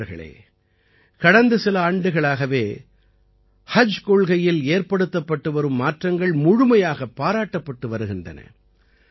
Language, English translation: Tamil, Friends, the changes that have been made in the Haj Policy in the last few years are being highly appreciated